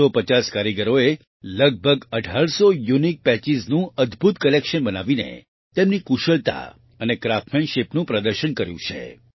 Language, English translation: Gujarati, 450 artisans have showcased their skill and craftsmanship by creating an amazing collection of around 1800 Unique Patches